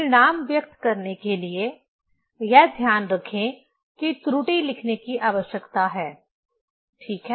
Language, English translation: Hindi, To express the result, keep this in mind that need to write the error, ok